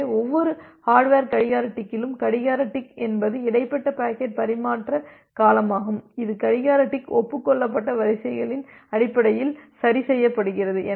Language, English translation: Tamil, So, with every hardware clock tick so, the clock tick is the inter packet transmission duration the clock ticks is adjusted based on the sequences that is acknowledged